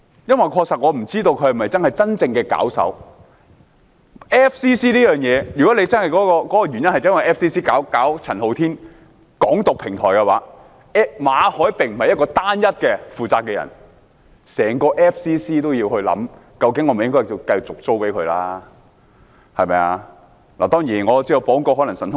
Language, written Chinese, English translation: Cantonese, 因為我確實不知道他是否真正的搞手，如果 FCC 才是真正為陳浩天提供宣揚"港獨"的平台，馬凱便不是唯一要負責的人，整個 FCC 都要思考，政府會否繼續把地方租給他們？, I honestly do not know if he is the real organizer . If it is FCC which actually provides the platform for Andy CHAN to advocate Hong Kong independence Victor MALLET should not be the only one to be held responsible . The Government should consider whether it should continue to lease the premises to FCC